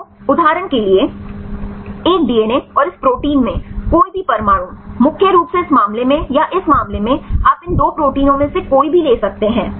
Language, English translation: Hindi, So, for example, the any atom in a DNA and this protein, for mainly in this case or if in this case you can take any of these 2 proteins